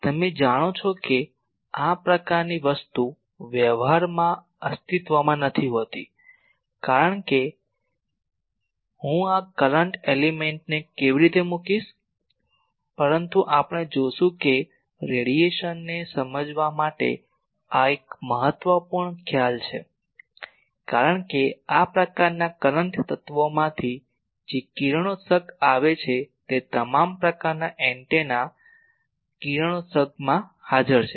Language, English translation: Gujarati, You know that these type of thing cannot exist in practice that how I will put these current element, but we will see that to understand radiation this is a vital concept, because the radiation that takes place from this type of current element that is present in all types of antenna radiations